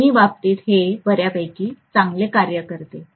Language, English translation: Marathi, In both the case it will work quite well